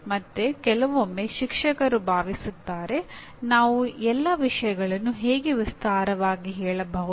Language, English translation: Kannada, And sometimes the teacher feel how can we enumerate all the things